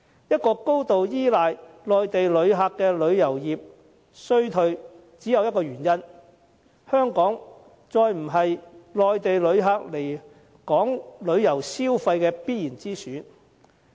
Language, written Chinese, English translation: Cantonese, 一個高度依賴外地旅客的旅遊業衰退只有一個原因，就是香港再不是外地旅客旅遊消費的必然之選。, As our tourism industry relies heavily on inbound visitors the decline is attributed to the sole reason that Hong Kong is no longer a must - go destination for visitors